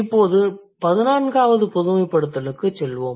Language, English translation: Tamil, Now let's move to the 14th generalization